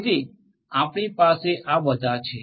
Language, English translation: Gujarati, So, we will have all of these